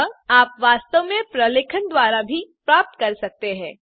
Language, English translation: Hindi, So, you can actually go through the documentation